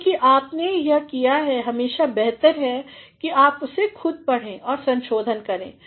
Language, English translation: Hindi, Since you have done it, it is always better, that you read it yourself and you revise